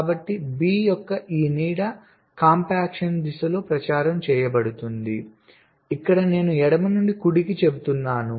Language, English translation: Telugu, ok, fine, so this shadow of the feature is propagated along the direction of compaction here i am saying from left to right